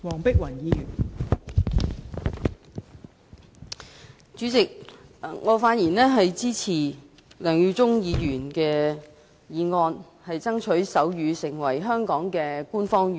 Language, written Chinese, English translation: Cantonese, 代理主席，我發言支持梁耀忠議員的議案，爭取手語成為香港的官方語言。, Deputy President I rise to speak in support of Mr LEUNG Yiu - chungs motion on striving to make sign language an official language